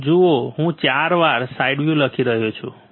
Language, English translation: Gujarati, You see the 4 one I am writing s w